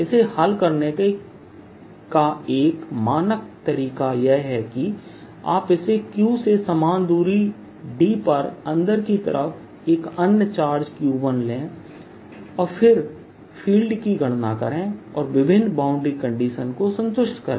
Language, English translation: Hindi, a standard way of solving this is that you take this q, put a q inside, which is q one at the same distance d and then calculate the field and satisfy various boundary conditions